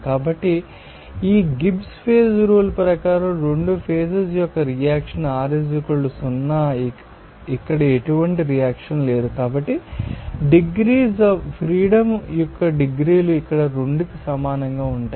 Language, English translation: Telugu, So, according to this Gibbs phase rule component is two phase is two reaction r = 0 here since there is no reaction, so, degrees of freedom will be equal to 2 here